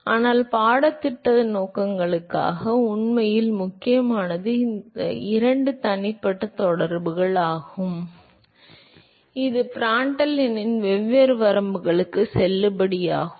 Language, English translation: Tamil, But for the course purposes, what is really important is these two individual correlations which is valid for different ranges of Prandtl number